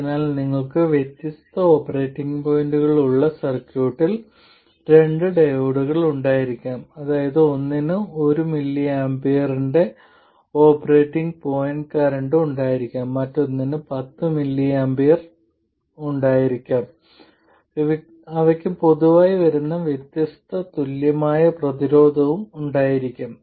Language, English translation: Malayalam, So you could have two diodes in the circuit with different operating points, that is one could be having an operating point current of 1mm, the other one could have 10mmmps, they'll have different equivalent resistances in general